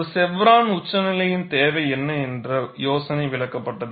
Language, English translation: Tamil, And the idea of, what is a need for chevron notch was explained